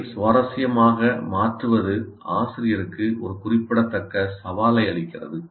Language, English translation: Tamil, So obviously to make it interesting presents a great challenge to the teacher